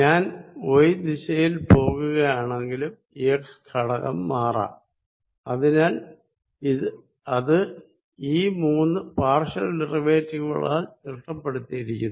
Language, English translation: Malayalam, If I go in the y direction E x component may again change, so that is described by these three differential partial derivatives